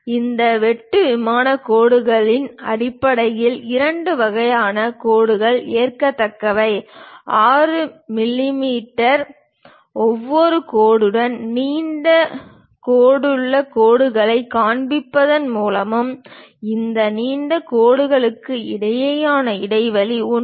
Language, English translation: Tamil, There are basically two types of lines are acceptable for this cut plane lines; either by showing a long dashed lines with each dash of 6 mm and the gap between these long dashes will be 1